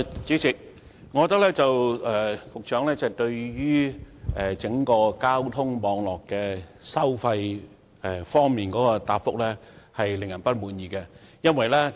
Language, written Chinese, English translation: Cantonese, 主席，我認為，局長就整個交通網絡收費事宜的答覆未能令人滿意。, President I do not think the Secretary has given a satisfactory reply on the toll issue of the transport network across the territory